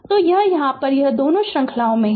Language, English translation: Hindi, So, it is here it both are in series